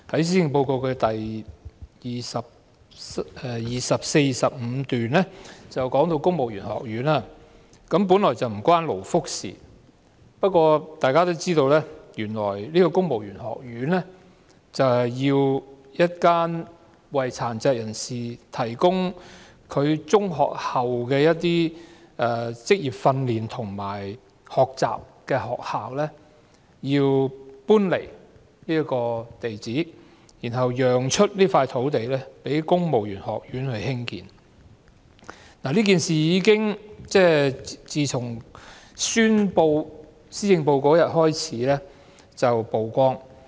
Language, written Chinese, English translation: Cantonese, 施政報告第24和25段提及公務員學院，本來這與勞福無關，但大家也知道，原來公務員學院的選址，是一間為殘疾人士提供中學畢業後職業訓練和學習的學校，這學校因此需要遷出，讓出土地興建公務員學院，這件事在宣布施政報告當天曝光。, This is actually unrelated to labour and welfare but as we all know the site for the Civil Service College is now the location of a school providing post - secondary vocational training and learning for disabled persons . The school will have to be relocated to vacate the site for constructing the college . This matter was revealed on the day the Policy Address was delivered